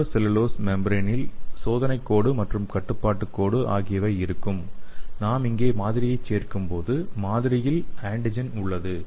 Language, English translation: Tamil, And in the nitro cellulose membrane you will be having test line and control line, so when we add the sample here so the sample contains the antigen